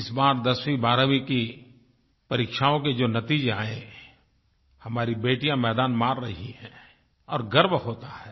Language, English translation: Hindi, This time in the results of 10th and 12th classes, our daughters have been doing wonderfully well, which is a matter of pride